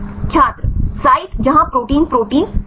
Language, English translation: Hindi, Site where protein protein